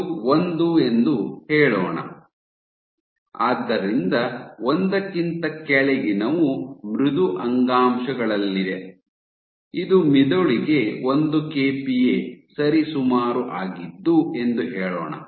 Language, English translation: Kannada, So, let us say this is 1, so below 1 you have in soft tissues, so let us say this is 1 kPa order brain